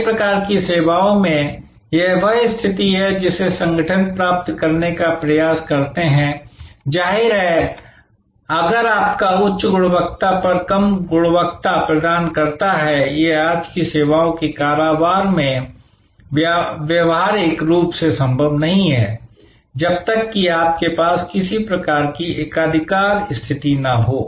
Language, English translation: Hindi, In many types of services this is the position that organizations try to achieve; obviously, if your delivering low quality at high price; that is a rip off strategy practically not possible in services business today, unless you have some kind of monopolistic position